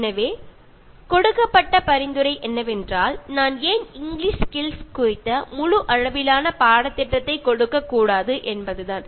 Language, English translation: Tamil, So, the suggestion given was that, why don’t I give a full fledged course on English Skills